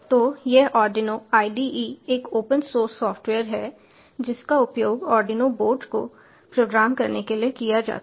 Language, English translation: Hindi, so this arduino ide is an open source software that is used to program the arduino board